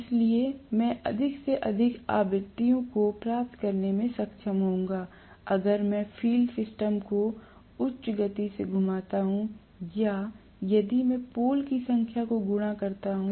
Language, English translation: Hindi, So, I would be able to get more and more frequencies, if I rotate the field system at a, you know higher speed or if I multiply the number of poles